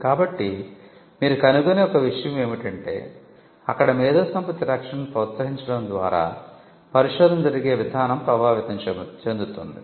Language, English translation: Telugu, So, one of the things you will find is that by incentivizing IP protection there it could influence the way in which research is conducted